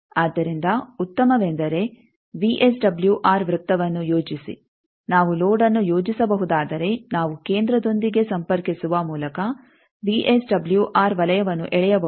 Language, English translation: Kannada, So, better draw a VSWR circle that if we can plot a load then we can draw the VSWR circle by connecting with the centre